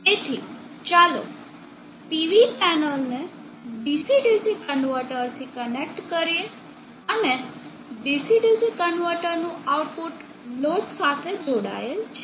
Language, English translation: Gujarati, So let us connect a PV panel to a DC DC converter and the out of the DC DC converter is connected to a load